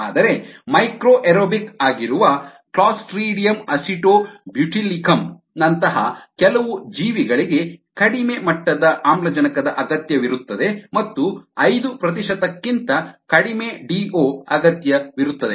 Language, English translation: Kannada, but some organisms, clostridium acetobutylicum, clostridium acetobutylicum ah, which is micro aerobic, which requires low levels of oxygen, requires ah d o of less than five percent